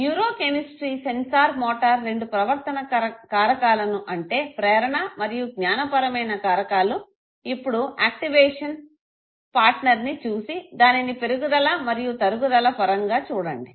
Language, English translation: Telugu, Okay the change in the neuro chemistry sensorimotor changes and off course two behavioral factors the motivation and cognitive factors, now look at the activation partner and compare it in terms of the increase what verse the decrease situation